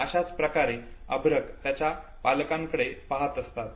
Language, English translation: Marathi, Now this is how the infants they look at their parents